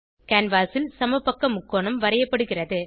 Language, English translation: Tamil, An equilateral triangle is drawn on the canvas